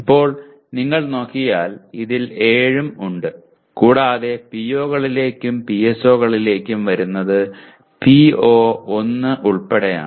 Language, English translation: Malayalam, Now, here if you look at there are 7 in this and coming to POs and PSOs is only including PO1